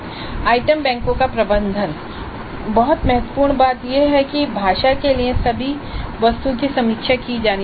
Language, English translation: Hindi, Managing the item banks, all items need to get reviewed for language that is very important